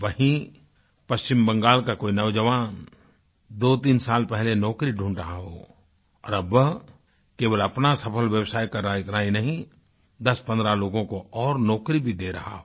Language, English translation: Hindi, At the same time a young man from West Bengal desperately seeking a job two to three years ago is now a successful entrepreneur ; And not only this he is providing employment to ten to fifteen people